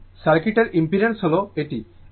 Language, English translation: Bengali, Therefore, impedance of the circuit is this one